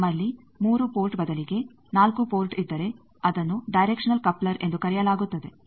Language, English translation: Kannada, Instead of 3 port if we have 4 port that thing will show that it is called directional coupler